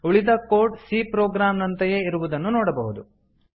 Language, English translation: Kannada, You can see that the rest of the code is similar to our C program